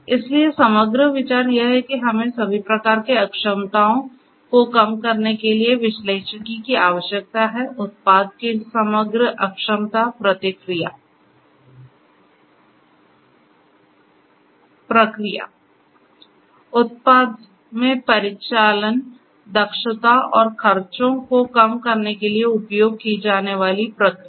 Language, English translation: Hindi, So, the overall idea is we need analytics for reducing inefficiencies of all sorts, overall inefficiency of the product, the process; the process that is being used in order to manufacture the product and the operational efficiency and the expense reduction of the expenses